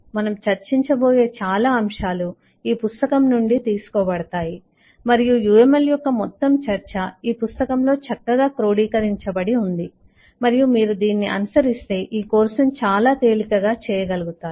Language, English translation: Telugu, this has most of the materials that we will discuss is will be borrowed from this book and eh, also, the whole discussion of uml has good summary in this book and if you follow this am sure you will find this course quite easy to go